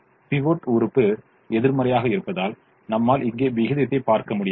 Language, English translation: Tamil, here i don't find the ratio because the pivot element is negative